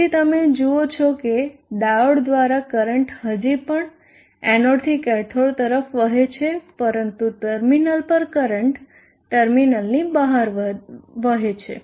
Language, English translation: Gujarati, Therefore, you see that through the diode the current distance lowing from the anode to the cathode but at the terminal the current is flowing out of the terminal